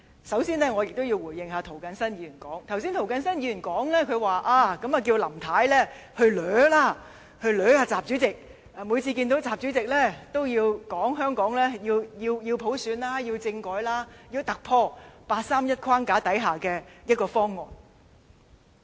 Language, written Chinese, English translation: Cantonese, 首先，我要回應涂謹申議員，他剛才叫林太向習主席"死纏爛打"，每次會見習主席，也提出香港要普選、要政改、要突破八三一框架之下的方案。, He has just asked Mrs LAM to pester President XI reiterating Hong Kongs demands for universal suffrage constitutional reform and a proposal beyond the 31 August Decision each time she meets President XI